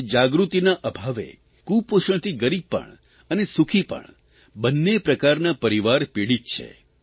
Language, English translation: Gujarati, Today, due to lack of awareness, both poor and affluent families are affected by malnutrition